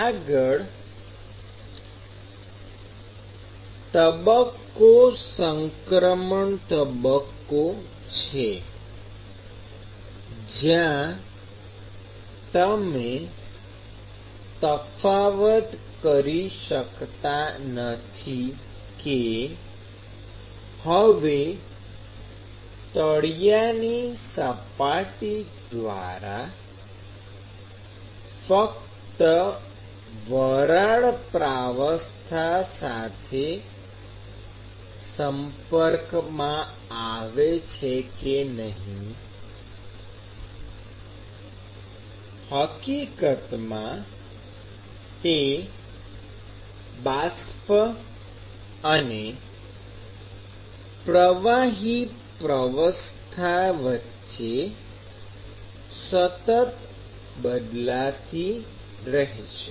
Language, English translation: Gujarati, And what happens after that is for the transition stage where you cannot distinguish whether the bottom surface is now in contact only with the fluid or only with the vapor phase, it is going to be a constant switch between the vapor and the liquid phase